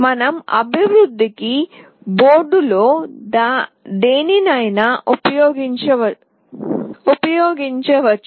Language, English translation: Telugu, We can use any one of the boards for our development